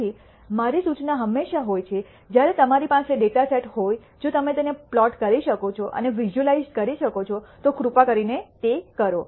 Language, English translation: Gujarati, So, my suggestion is always when you have a data set, if you can plot and visualize it please do